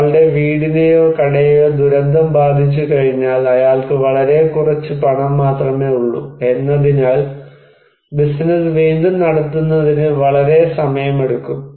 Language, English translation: Malayalam, Once his house or his shop is affected by disaster, it takes a long time for him to run the business again because he has very little money